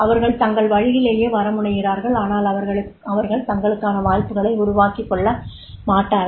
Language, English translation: Tamil, They tend to come their way but tend not to create opportunities for themselves